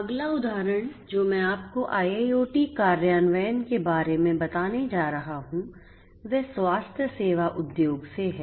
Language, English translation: Hindi, The next example that I am going to give you of IIoT implementation is from the healthcare industry